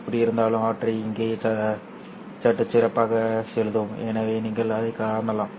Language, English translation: Tamil, Anyway, we will write down them slightly better here